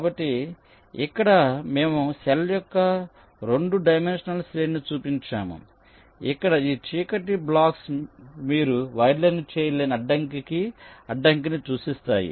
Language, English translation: Telugu, here we have showed a two dimensional array of cell where this dark block represent the obstacle through which we cannot